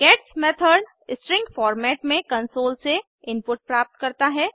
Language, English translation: Hindi, gets method gets the input from the console but in a string format